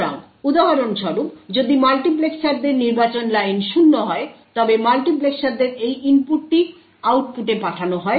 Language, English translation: Bengali, So, for example, if the multiplexers select line is 0 then this input at the multiplexers is sent to the output